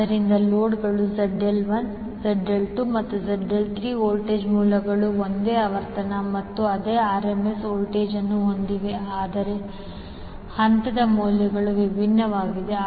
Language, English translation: Kannada, So, loads are Zl1, Zl2 and Zl3 voltage sources are having same frequency and same RMS voltage, but the phase values are different